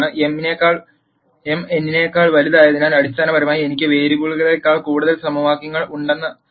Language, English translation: Malayalam, Since m is greater than n this basically means that I have more equations than variables